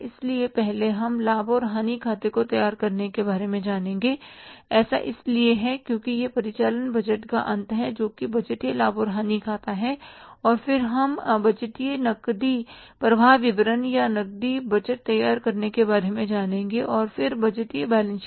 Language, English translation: Hindi, There is the budgeted profit and loss account and then we will learn about preparing the budgeted cash flow statement or the cash budget and then the budgeted balance sheet